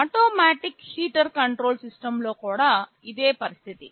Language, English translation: Telugu, Same is the case in an automatic heater control system